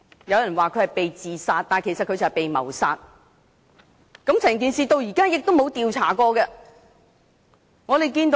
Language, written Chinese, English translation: Cantonese, 有人說他是"被自殺"，但他其實是"被謀殺"，整件事至今亦沒有進行調查。, Some said that LI Wangyang was being suicided but he was actually murdered . No investigation into the whole matter had been conducted at all